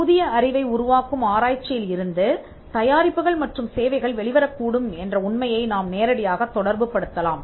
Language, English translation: Tamil, You can directly relate it to, the fact that products and services can come out of the research, which produces new knowledge